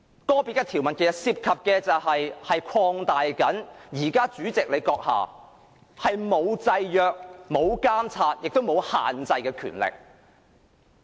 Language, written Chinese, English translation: Cantonese, 個別條文其實涉及擴大現時主席閣下不受制約、監察或限制的權力。, In fact the individual provisions involve expansion of the existing powers of the President which are not subject to any control monitoring or restriction